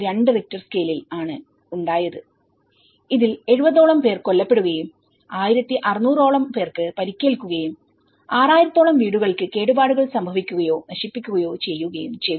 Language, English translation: Malayalam, 2 Richter scale and it has killed about 70 people and injured 1600 and almost 6,000 homes either damaged or destroyed